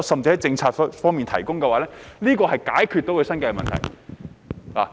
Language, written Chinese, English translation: Cantonese, 政府可否提出政策，以解決他們的生計問題？, Can it introduce policies to solve the livelihood problems of offshore operators?